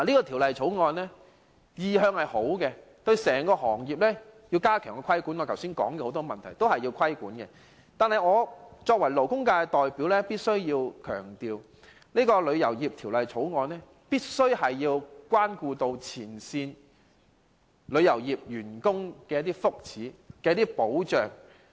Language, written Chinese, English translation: Cantonese, 《條例草案》的原意是好的，要針對我剛才提及整個行業的很多問題加強規管；但是，我作為勞工界代表，必須強調《條例草案》必須顧及前線旅遊業從業員的福祉和保障。, The Bill is well - intended as it seeks to step up the regulation of the industry and address the various issues mentioned above . However as the representative of the labour sector I must highlight the need to take into consideration the well - being and protection of frontline practitioners in the tourism industry when formulating the Bill